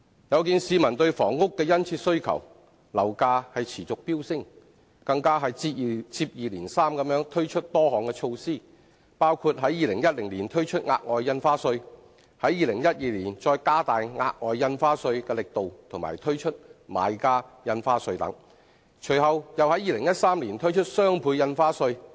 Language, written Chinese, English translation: Cantonese, 有見市民對房屋的殷切需求，樓價持續飆升，政府接二連三推出多項措施，包括在2010年推出額外印花稅，於2012年加大額外印花稅的力度和推出買家印花稅，隨後又於2013年推出雙倍印花稅。, In view of peoples keen demand for housing and soaring property prices the Government has launched a number of initiatives one after another including the introduction of the Special Stamp Duty in 2010 the enhancement of the Special Stamp Duty and the introduction of the Buyers Stamp Duty in 2012 and the subsequent introduction of the Doubled Ad Valorem Stamp Duty in 2013